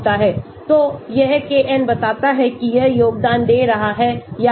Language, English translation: Hindi, so, this Kn tells you whether it is contributing or not